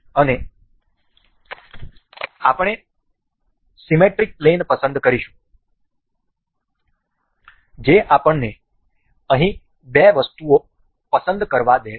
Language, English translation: Gujarati, And we will select the symmetric plane allows us to select two items over here